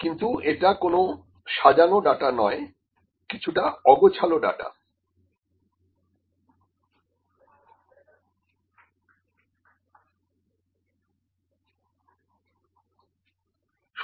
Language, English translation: Bengali, But it is not in a structured way, it is unstructured data